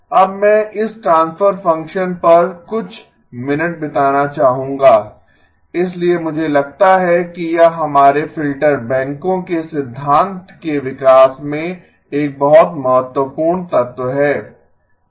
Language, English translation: Hindi, Now I would like to spend a few minutes on this transfer function so I think it is a very important element in our development of the theory of the filter banks